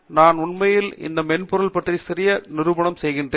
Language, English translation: Tamil, I will be actually doing a brief demonstration of this software